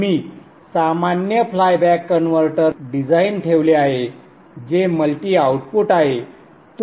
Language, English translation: Marathi, I have put a generic flyback converter design which is multi output